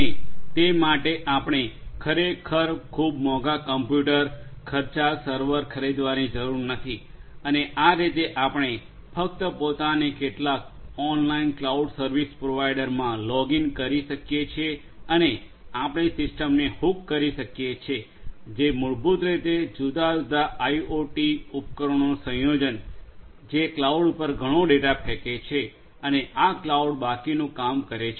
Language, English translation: Gujarati, And that for that we do not really have to go and buy a very expensive computer a expensive server and so on, we could simply get ourselves logged into some online cloud service providers and you know we can hook our system that we develop which basically are a combination of different IoT devices throwing lot of data to that cloud and this cloud is going to do the rest